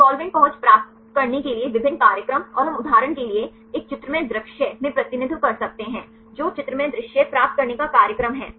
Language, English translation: Hindi, The different programs to get the solvent accessibility and we can represent in a pictorial view for example, which is the program to get the pictorial view